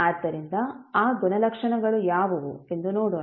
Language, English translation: Kannada, So, let us see what are those properties